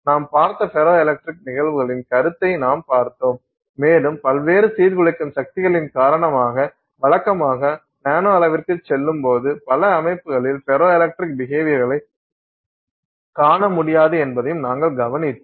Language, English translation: Tamil, We also saw that I mean the concept of ferroelectric phenomenon itself we saw and we also made note of the fact that due to various disruptive forces that may exist usually when you go down to the nanoscale you are not able to see the ferroelectric behavior in many systems